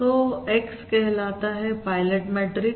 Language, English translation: Hindi, So X is known as this is known as the pilot matrix